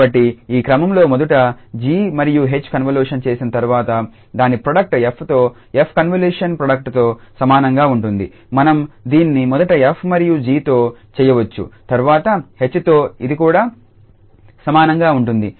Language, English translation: Telugu, So, in this order that first g and h will be convoluted and then its product with f convolution product with f that will be equal to that we can do this first with f and g and then later on with h this will be also equal